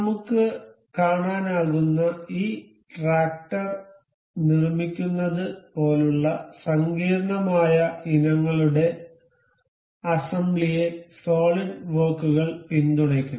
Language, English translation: Malayalam, Solidworks also supports assembly of far more complicated items like to build this tractor we can see